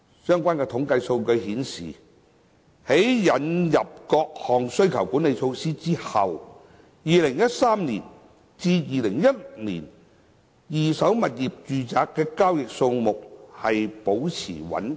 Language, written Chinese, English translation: Cantonese, 相關統計數據顯示，在引入各項需求管理措施後 ，2013 年至2016年的二手住宅物業交易數量保持穩定。, The relevant statistics have illustrated that the number of second - hand residential property transactions remained stable between 2013 and 2016 after the introduction of various demand - side management measures